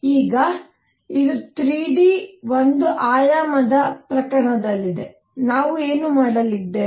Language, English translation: Kannada, Now, this is in one dimensional case in 3 d, what we are going to have